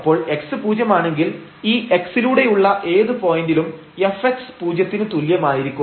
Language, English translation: Malayalam, So, when x is 0 fx at whatever point along this x is equal to 0, for whatever y this will be 0